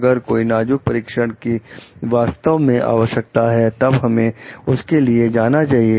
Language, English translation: Hindi, If some critical testing is truly required, then we should go for it